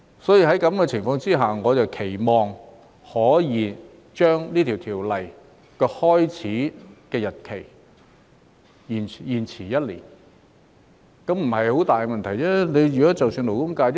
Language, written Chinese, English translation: Cantonese, 在這種情況下，我期望可以將這項法例的開始生效日期延遲一年，這理應不是很大問題。, Under such circumstances I hope that the commencement date of the Bill can be deferred for one year which should not be a very big problem